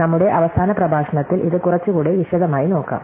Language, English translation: Malayalam, So, we will look at this with a little more detail in our last lecture